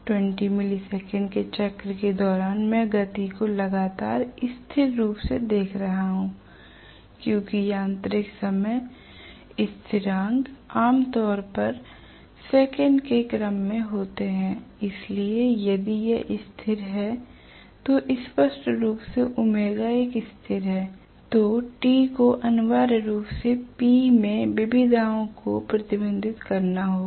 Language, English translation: Hindi, During 20 milli second cycle I am going to see the speed fairly as constant because the mechanical time constants are generally of the order of seconds okay so if that is the constant very clearly omega is a constant so T has to essentially reflect the variations in P right, in power